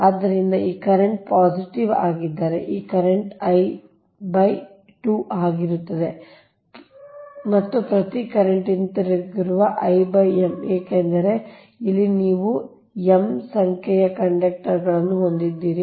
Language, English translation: Kannada, so if this current positive is i by i, this current will be minus i and each current returning at which will be minus i by m, because here you have m number of conductors, right, that means